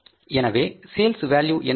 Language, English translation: Tamil, So what is the sales value now